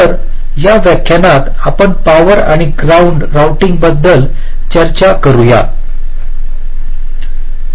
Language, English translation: Marathi, ok, so in this lecture we talk about power and ground routing